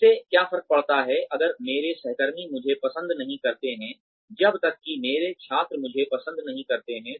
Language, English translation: Hindi, What difference, does it make, if my colleagues, do not like me, as long as, my students are fond of me